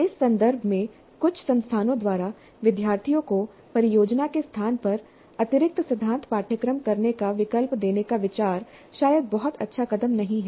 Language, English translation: Hindi, In this context, the idea of some of the institutes to give an option to the students to do additional theory courses in place of a project probably is not a very good move